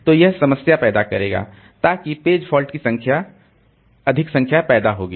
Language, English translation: Hindi, So that way continually the process will generate large number of page faults